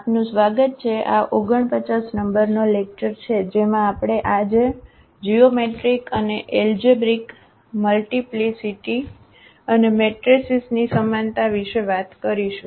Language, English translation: Gujarati, Welcome back, so this is lecture number 49 and we will be talking about today the geometric and algebraic multiplicity and the similarity of matrices